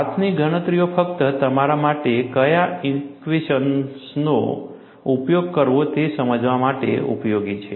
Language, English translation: Gujarati, Hand calculations are useful, only for you to understand what equations to use